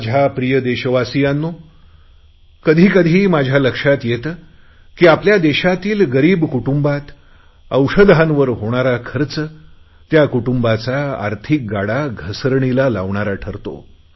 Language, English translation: Marathi, My dear countrymen, sometimes I notice that the money that our poor families have to spend on their healthcare, throws their life off the track